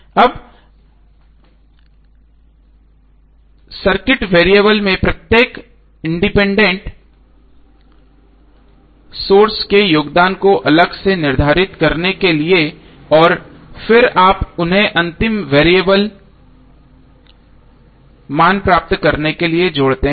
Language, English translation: Hindi, Now in another to determine the contribution of each independent source to the variable separately and then you add them up to get the final variable value